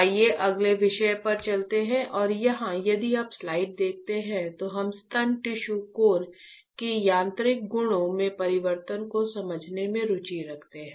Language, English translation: Hindi, Let us go to the next topic and here if you see the slide we are interested in understanding the change in mechanical properties of the breast tissue cores, alright